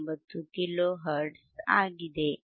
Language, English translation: Kannada, 59 kilo hertz